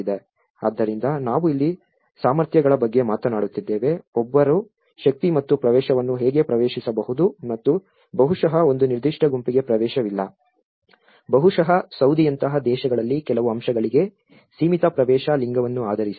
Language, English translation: Kannada, So which means we are talking here about the capacities, how one is able to access to the power and the access and maybe a certain group is not having an access, maybe in countries like Saudi where gender have a limited access to certain aspects